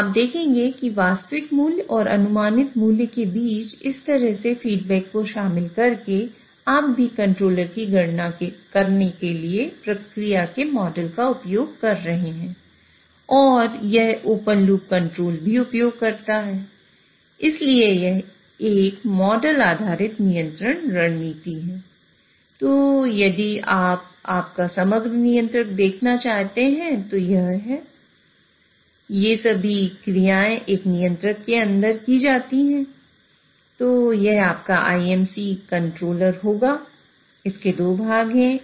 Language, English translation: Hindi, So, you will see that by incorporating this sort of a feedback between actual value and the predicted value, you are still using the plant model of the process in order to compute the control law